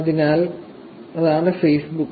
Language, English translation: Malayalam, So, that is only Facebook